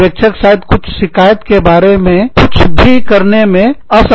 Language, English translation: Hindi, The supervisor, may not be able to do, anything about it